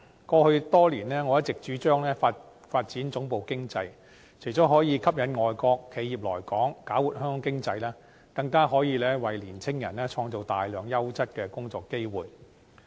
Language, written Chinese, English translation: Cantonese, 過去多年，我一直主張發展總部經濟，除了可以吸引外國企業來港，搞活香港經濟，更可以為青年人創造大量優質的工作機會。, Over the years I have all along advocated developing headquarters economy which not only attracts foreign enterprises to Hong Kong to stimulate our economy but also creates many quality job opportunities for young people